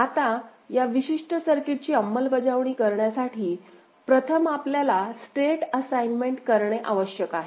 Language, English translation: Marathi, Now, to implement this particular circuit, we need to first do a state assignment ok